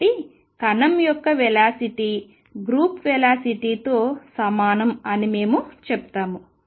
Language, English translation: Telugu, So, we say that the particle velocity of particle speed is the same as the group velocity